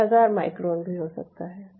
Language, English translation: Hindi, it could be thousand micron